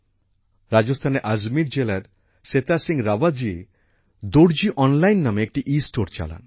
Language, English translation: Bengali, Setha Singh Rawat ji of Ajmer district of Rajasthan runs 'Darzi Online', an'Estore'